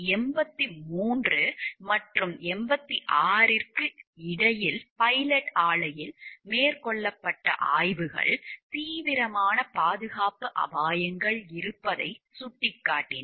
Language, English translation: Tamil, Between 1983 and 1986, inspections at the pilot plant indicated that there were serious safety hazards